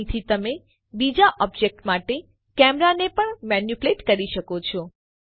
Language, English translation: Gujarati, From here on, you can manipulate the camera like you would manipulate any other object